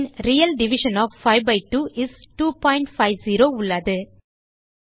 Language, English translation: Tamil, then we have the real division of 5 by 2 is 2.5